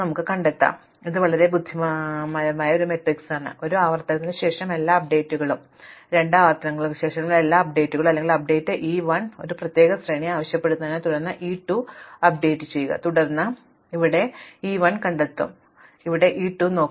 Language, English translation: Malayalam, So, this is a very clever matrix which has all the updates after one iterations, all the updates after two iterations or for want a particular sequence toward update e 1, then update e 2, then update then I will find it e 1 here, then I will look for e 2 here, then I will find e 3 here and then so on